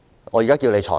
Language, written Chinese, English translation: Cantonese, 我現在要求你裁決。, Now I ask you for a ruling